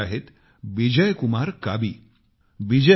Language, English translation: Marathi, Just as… a friend Bijay Kumar Kabiji